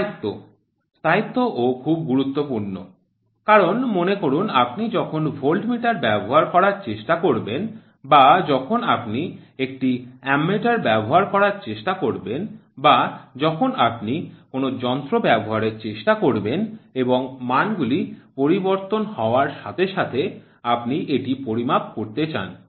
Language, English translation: Bengali, Stability: stability is also very important because suppose when you try to use the voltmeter or when you try to use a ammeter or when you try to take a device and you want to measure it as soon as the there is a change in values, it will start vibrating or it will start fluctuating or it will start running with numbers